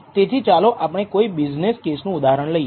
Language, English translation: Gujarati, So, let us take some examples let us take a business case